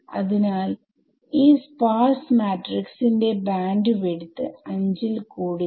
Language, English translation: Malayalam, So, the spareness of this matrix the bandwidth of this sparse matrix cannot exceed 5